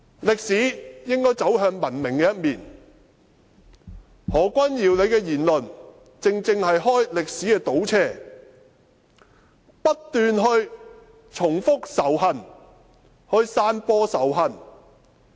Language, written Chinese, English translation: Cantonese, 歷史應該走向文明的一面，何君堯議員的言論，正正是開歷史的倒車，不斷重複仇恨，散播仇恨。, History should lead us to civilization . Dr Junius HOs remarks are a step backwards repeating hatred and spreading hatred